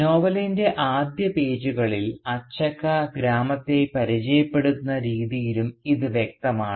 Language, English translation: Malayalam, And this is evident even in the way Achakka introduces the village in the first pages of the novel